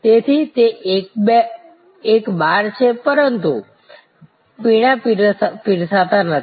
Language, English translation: Gujarati, So, it is a bar, but it does not serve drinks